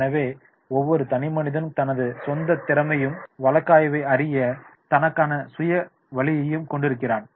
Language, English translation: Tamil, So, therefore, every individual is having his own competency and his own way to look towards the case